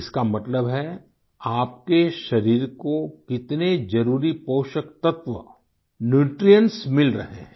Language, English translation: Hindi, This means whether you are getting essential nutrients